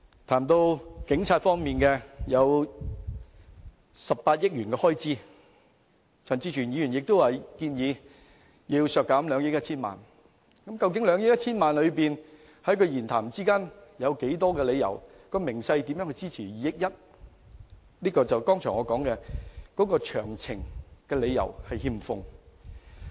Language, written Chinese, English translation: Cantonese, 談到警察方面，開支為18億元，而陳志全議員亦建議削減其中的2億 1,000 萬元，但其發言內容並未提供任何理由和分項數字支持有關建議，這正是我剛才所說的失卻詳情。, In respect of the Police the expenditure is 1.8 billion and Mr CHAN Chi - chuen likewise suggests a reduction of 210 million . Yet his speech gave no justification or breakdown to support his proposal . This is details missing